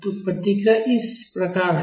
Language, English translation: Hindi, So, this is how the responses is